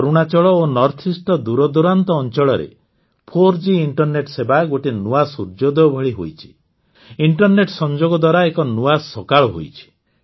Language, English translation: Odia, There has been a new sunrise in the form of 4G in the remote areas of Arunachal and North East; internet connectivity has brought a new dawn